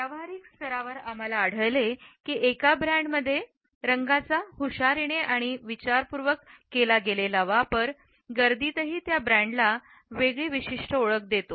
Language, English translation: Marathi, At the practical level we find that a clever and well thought out use of color in a brand makes it a standout in a crowd